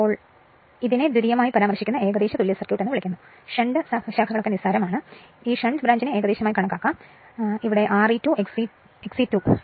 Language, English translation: Malayalam, So, this is your what you call the approximate equivalent circuit referred to secondary; shunt branches are negligible, I mean we are approximated this shunt branch everything is approximated it is neglected right